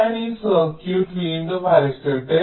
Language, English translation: Malayalam, so here let me just redraw this circuit again